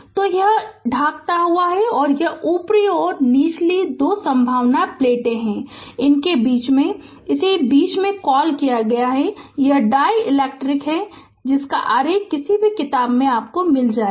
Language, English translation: Hindi, So, this is dielectric and this upper and lower two conducting plates and in between this is your what you call in between, this is dielectric right any book you will get this diagram right